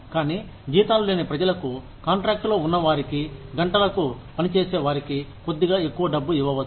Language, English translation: Telugu, But, people, who do not have salaries, people, who are on contract, who are hourly wagers, can be given, a little bit more money